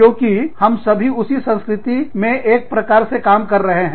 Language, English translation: Hindi, Because, we are all, sort of functioning, in that culture